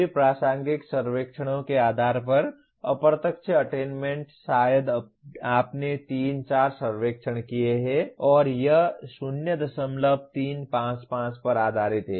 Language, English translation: Hindi, Indirect attainment based on all relevant surveys, maybe you have done 3 4 surveys and based on that is 0